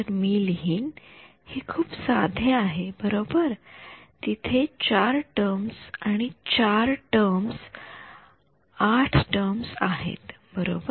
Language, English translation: Marathi, So, I will just I will write down its very simple right there are how many 4 terms and 4 terms 8 terms right